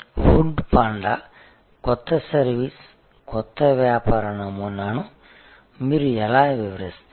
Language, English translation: Telugu, How do you describe the new service new business model of food panda